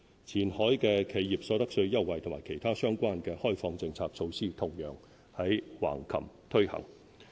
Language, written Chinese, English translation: Cantonese, 前海的企業所得稅優惠及其他相關的開放政策措施同樣在橫琴推行。, The concessions on enterprise income tax and other relevant liberalization policy measures adopted by Qianhai have also applied to Hengqin